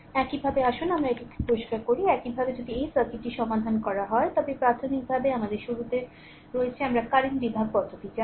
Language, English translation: Bengali, Similarly, you just let us clean it; similarly if you solve this circuit it is a basically we have at the beginning we have studied know current division method right